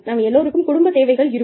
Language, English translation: Tamil, We all have family needs